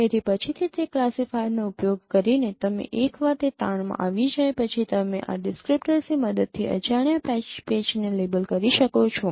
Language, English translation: Gujarati, So by using this classifier later on you can once it is trained then you can label an unknown patch using this descriptor